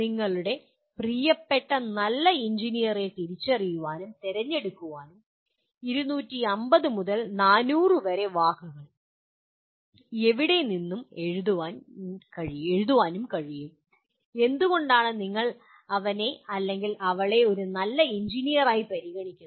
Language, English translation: Malayalam, You can identify and select your favorite good engineer and then write a few words anywhere from 250 to 400 words why do you consider him or her a good engineer